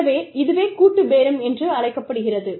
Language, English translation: Tamil, And, that is called collective bargaining